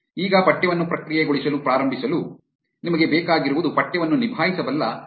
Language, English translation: Kannada, Now to start processing text, what you need is a library which can handle text